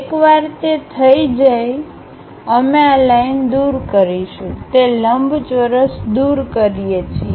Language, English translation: Gujarati, Once it is done, we finish this lines remove that rectangle